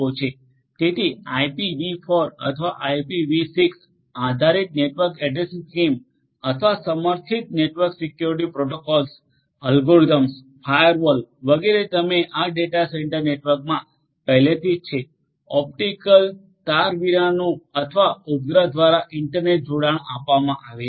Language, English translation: Gujarati, So, IPV4 or IPV6 based network addressing scheme or supported network security protocols, algorithms, firewalls etcetera are already in place you in these data centre networks, internet connectivity is offered through optical wireless or satellite can communication